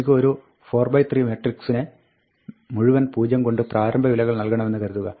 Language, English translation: Malayalam, Supposing, I want to initialize a 4 by 3 matrix to all zeros